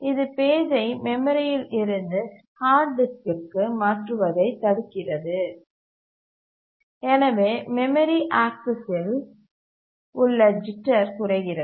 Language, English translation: Tamil, It prevents the page from being swapped from the memory to the hard disk and therefore the jitter in memory access reduces